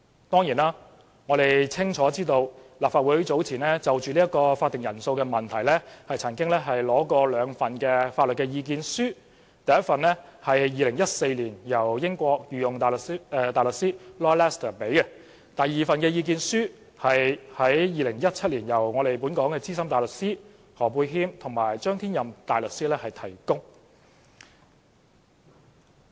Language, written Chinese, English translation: Cantonese, 當然，我們清楚知道立法會早前就會議法定人數的問題，索取了兩份法律意見書，第一份意見書是2014年由英國御用大律師 Lord LESTER 提供，而第二份意見書是於2017年由本港資深大律師何沛謙及張天任大律師提供。, Certainly we clearly know that the Legislative Council obtained two legal submissions concerning the quorum issue of which one was provided by Lord LESTER QC of the United Kingdom in 2014 and the other was provided by Ambrose HO SC and Jonathan CHANG of Hong Kong in 2017